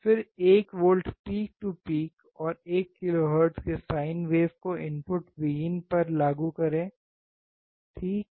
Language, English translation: Hindi, Then apply 1 volt peak to peak sine wave at 1 kHz to the input Vin here, right